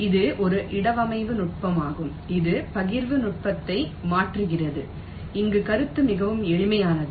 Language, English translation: Tamil, this is a placement technique which replaces partitioning technique, where the idea is very simple in concept